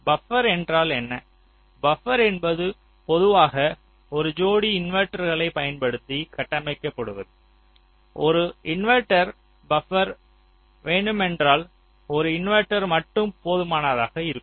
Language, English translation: Tamil, buffer is typically constructed using a pair of inverters, or if you want an inverting buffer, then a single inverter can also suffice